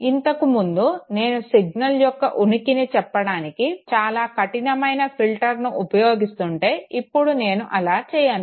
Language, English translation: Telugu, Earlier if I was using a very, very stringent filter to say that whether the signal was present or absent, now I do not do that okay